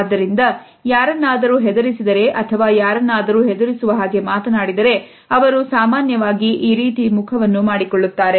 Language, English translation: Kannada, So, if you scare someone or tell someone something that scares them, they will usually make this face